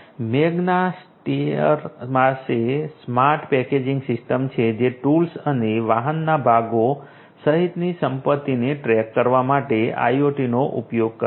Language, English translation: Gujarati, Magna Steyr has the smart packaging system which uses IoT for tracking assets including tools and vehicle parts